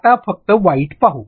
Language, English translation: Marathi, Now, let us just see bad